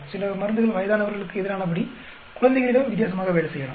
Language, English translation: Tamil, Some drugs may work differently on infants, as against on aged people